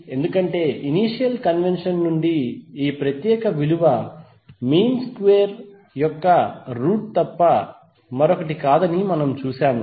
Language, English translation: Telugu, Because from the initial convention we have seen that this particular value is nothing but root of square of the mean value